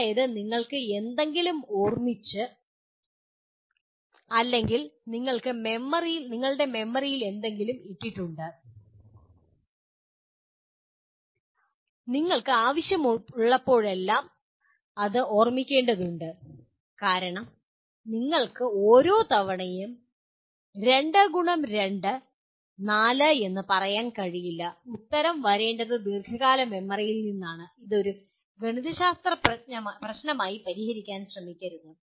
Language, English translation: Malayalam, That is you have remembered something or you have put something in the memory and you are required to recall it whenever you want because you cannot each time any time say 2 * 2 = 4, the answer should come from the long term memory rather than trying to solve it as a mathematical problem